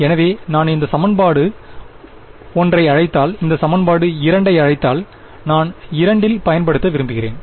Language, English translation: Tamil, So, if I tell if I call this equation 1 and call this equation 2 I want to use 2 in order to solve 1